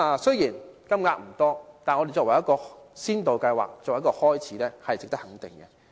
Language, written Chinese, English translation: Cantonese, 雖然金額不多，但提出先導計劃，作為一個開始，是值得肯定的。, Although it is not a large amount of funding the launching of pilot schemes as the first step is worthy of recognition